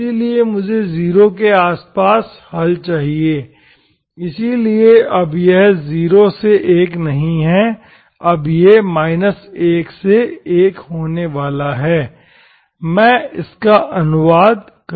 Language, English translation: Hindi, So I want solutions around 0, so now this is not 0 to 1, so it is going to be minus1 to1, I translate it